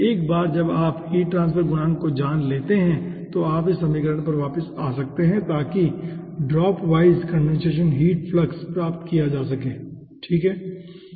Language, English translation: Hindi, okay, once you know the heat transfer coefficient once again you can go back to this equation to get the dropwise ah ah condensation heat flux